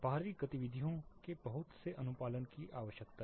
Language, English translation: Hindi, Lot of outdoor activities need to comply with this